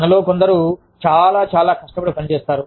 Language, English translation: Telugu, Some of us are, very, very, hard working